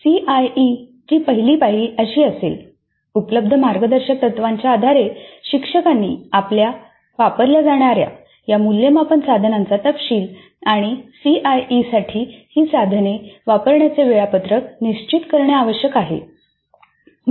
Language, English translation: Marathi, So, the first step in CIE would be based on the available guidelines the instructor must finalize the details of the assessment instruments to be used and the schedule for administering these instruments for CIE